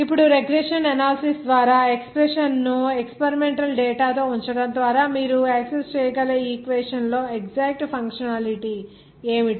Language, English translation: Telugu, Now, what should be that functionality exact on an equation that you can access by regression analysis putting that expression with experimental data